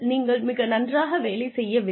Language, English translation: Tamil, Are they not doing it right